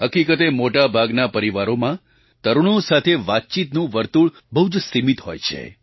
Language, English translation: Gujarati, In fact, the scope of discussion with teenagers is quite limited in most of the families